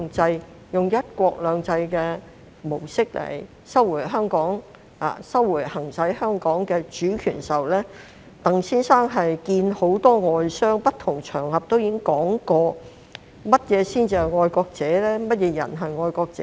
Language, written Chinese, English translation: Cantonese, 在以"一國兩制"的模式收回行使香港的主權時，鄧先生會見了很多外商，並在不同場合談及何謂"愛國者"和甚麼人才是愛國者。, Once decided that the sovereignty of Hong Kong upon its return would be exercised under the one country two systems model Mr DENG then met with many foreign entrepreneurs and discussed on various occasions the meaning of patriots and who would be patriots